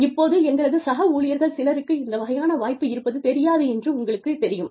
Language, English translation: Tamil, Now, you know, there are still some of our colleagues, who do not know, that this opportunity exists